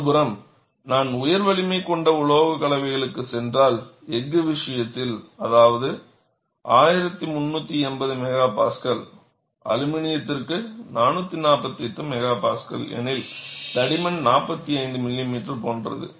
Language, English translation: Tamil, On the other hand, if I go for high strength alloys, in the case of steel, if it is 1380 MPa, 448 MPa for aluminum, the thickness is like 45 millimeter; so almost two thirds of it